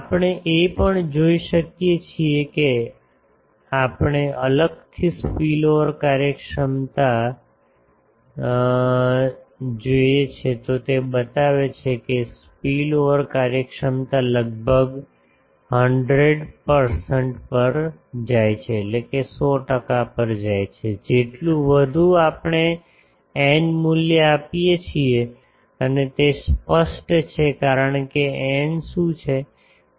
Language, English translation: Gujarati, Also we can see that if we separately see the spillover efficiency then it shows that spillover efficiency goes to almost 100 percent, the more we give the n, n value and that is obvious because what is n